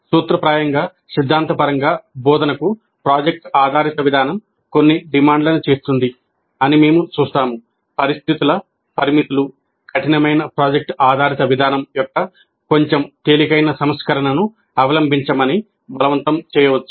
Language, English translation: Telugu, We'll see that while in principle, in theory, project based approach to instruction makes certain demands, the situational constraints may force us to adopt a slightly lighter version of the rigorous project based approach